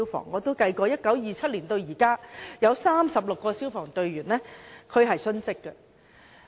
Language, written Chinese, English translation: Cantonese, 我也計算過，由1927年至今，已有36名消防員殉職。, I have done some counting . From 1927 to date 36 firemen were killed on duty